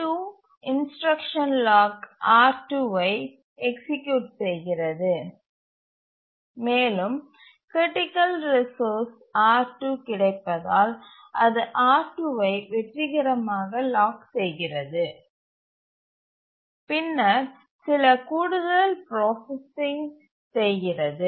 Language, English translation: Tamil, T2 it executes the instruction lock R2 and since the critical resource R2 is available it can successfully lock R2 and then it does some extra processing, some other processing it does